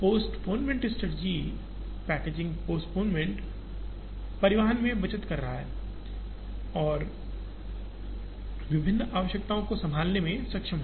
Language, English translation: Hindi, Postponement strategies, packaging postponement is saving in transportation and to be able to handle different requirements